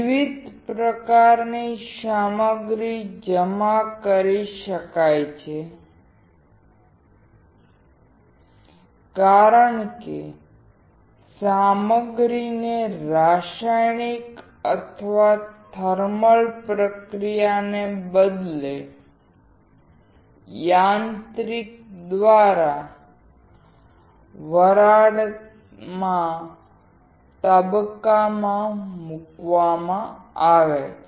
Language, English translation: Gujarati, A wide variety of materials can be deposited, because material is put into vapor phase by a mechanical rather than a chemical or thermal process